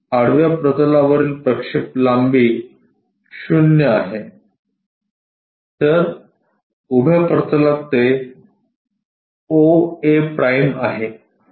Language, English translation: Marathi, So, the projection length on the horizontal plane is 0 whereas, on vertical plane it is o a’